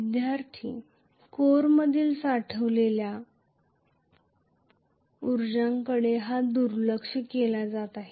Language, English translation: Marathi, Why is the stored energy in the core being neglected